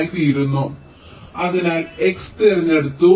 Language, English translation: Malayalam, so x is selected